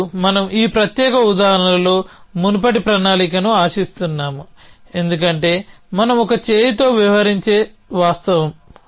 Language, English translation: Telugu, And we expect earlier plan in this particular example, because of the fact that we a dealing with a one arm brought